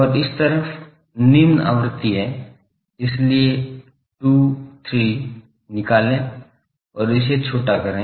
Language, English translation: Hindi, And this side the lower frequency, so extract 2 3 and truncate it